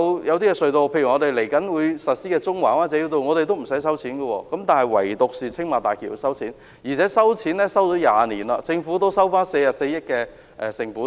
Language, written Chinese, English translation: Cantonese, 某些隧道或即將啟用的中環灣仔繞道也不收費，但唯獨青馬大橋要收費，並已收費20年，政府已收回44億元成本。, Certain tunnels or the Central - Wan Chai Bypass to be commissioned shortly are toll free but for the Tsing Ma Bridge tolls which have been charged for 20 years and the Government has already recovered 4.4 billion